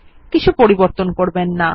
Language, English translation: Bengali, Dont change anything